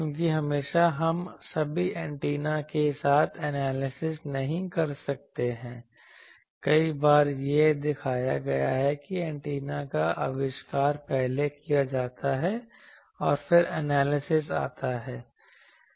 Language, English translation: Hindi, Because always we cannot do analysis with all the antennas, many times it has been shown that antenna is first invented and then it is analysis comes